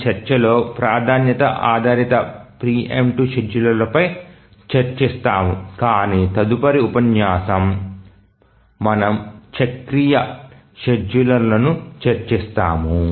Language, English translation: Telugu, We will discuss our good portion of our discussion is on the priority based preemptive schedulers but in the next lecture we'll discuss about the cyclic schedulers